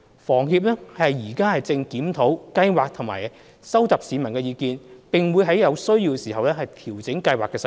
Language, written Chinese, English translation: Cantonese, 房協現正檢討計劃及收集市民意見，並會在有需要時調整計劃細節。, HKHS is reviewing the Scheme and collecting views from the public . The operational details will be fine - tuned as and when necessary